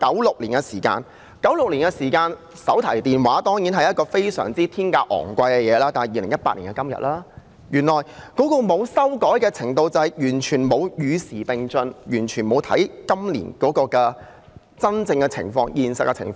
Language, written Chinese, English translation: Cantonese, 回看1996年的時候，手提電話是很昂貴的東西，但今天已經是2018年，綜援從來沒有修改，便等於完全沒有與時並進，完全沒有看今年真正的情況、現實的情況。, In retrospect mobile phones were a luxury in 1996 . But today is 2018 . CSSA has never undergone any changes which is tantamount to a total failure to keep abreast of the times and take into account the actual and practical situation of the current year